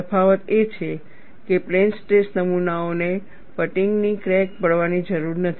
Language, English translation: Gujarati, So, the difference is, plane stress specimens need not be fatigue cracked